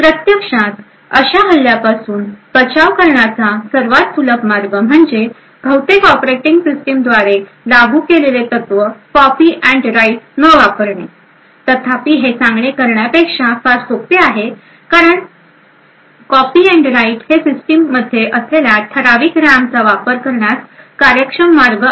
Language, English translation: Marathi, The most obvious way to actually prevent such an attack is to not to use copy and write principle which is implemented by most operating systems, however this is easier said than done because copy and write is a very efficient way to utilise the fixed amount of RAM that is present in the system